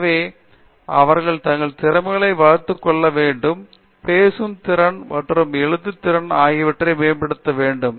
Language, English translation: Tamil, So, I think they should develop their communication skills as well, both speaking skills as well as writing skills